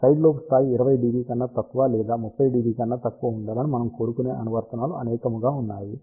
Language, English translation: Telugu, There are many applications where we would like side lobe level to be less than 20 dB or less than 30 dB